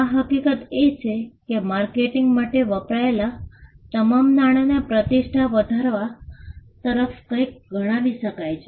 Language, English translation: Gujarati, The fact that, all the money that is pulled in for marketing can now be attributed as something that goes towards building the reputation